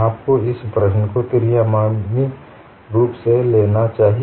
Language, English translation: Hindi, You must handle this problem as a three dimensional one